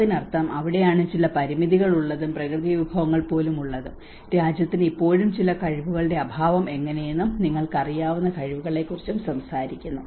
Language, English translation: Malayalam, So which means that is where it is talking about where there is certain limitations and even having natural resources, how the country is still lacking with some abilities you know how the capacities